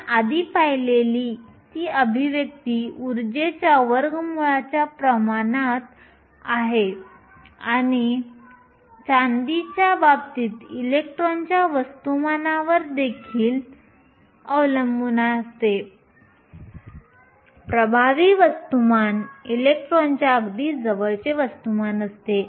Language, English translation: Marathi, That expression we saw earlier is proportional to square root of the energy also depends up on the mass of the electron in the case of the silver the effective mass is very close actual mass of an electron